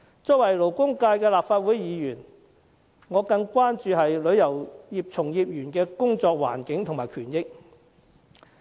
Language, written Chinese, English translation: Cantonese, 作為勞工界的立法會議員，我更關注旅遊業從業員的工作環境及權益。, As a Member of the Legislative Council representing the labour sector I am more concerned about the work environment and the rights of practitioners in the tourism industry